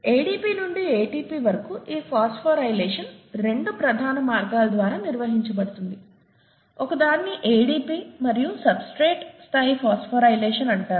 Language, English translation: Telugu, This phosphorylation of ADP to ATP is carried out by 2 major means; one is called substrate level phosphorylation of ADP